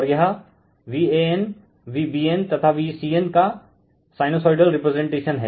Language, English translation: Hindi, So, this is the sinusoidal representation of V a n, V b n, and V c n